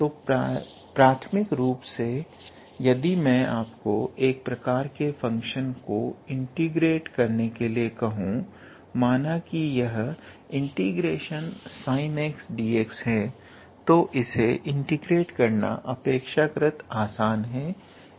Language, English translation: Hindi, So, first of all in a integral calculus if I ask you to integrate a function of a type let us say a function of type let us say if it is sine x dx then its relatively simple to integrate